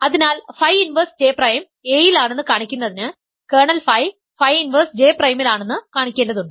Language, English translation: Malayalam, So, in order for us to show that phi inverse J prime is in A, we need to show that kernel phi is in phi inverse J prime